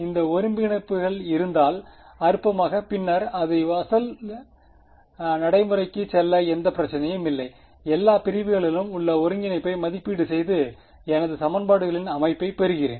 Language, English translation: Tamil, If these integrals exist trivially then there is no problem I can go back to my original procedure evaluate the integral over all segments get my system of equations and I am there